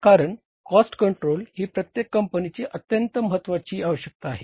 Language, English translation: Marathi, Because cost control is a very, very important requirement of every company